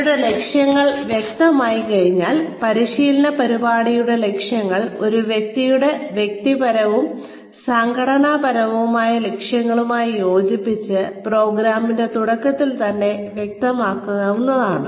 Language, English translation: Malayalam, Once their goals are clear, then the objectives of the training program, aligned with a person's personal and organizational goals, can be made clear, right in the beginning of the program